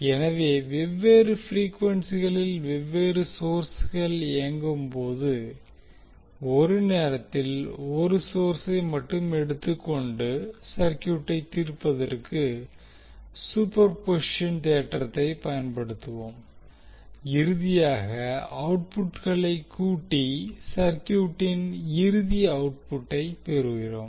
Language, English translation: Tamil, So when you have different sources operating at different frequencies we will utilize the superposition theorem by taking one source at a time and solve the circuit and finally we sum up the output so that we get the final output of the circuit